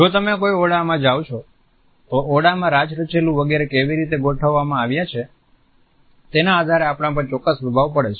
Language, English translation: Gujarati, If you walk into any room, we get certain impressions on the basis of how furniture etcetera has been arranged in this room